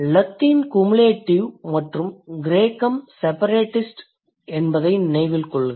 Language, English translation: Tamil, Remember Latin is cumulative and Greek is separatist